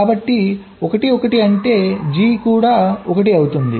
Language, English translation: Telugu, so one one means g will also be one